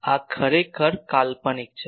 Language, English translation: Gujarati, Now, this is actually a fictitious